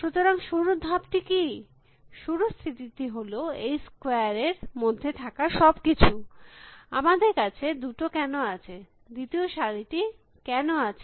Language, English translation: Bengali, So, what is the initial stage, the initial state is everything is in this square, why do we have two, why do we have second row